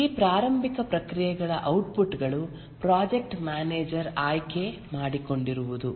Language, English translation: Kannada, The output of these initiating processes are that the project manager is selected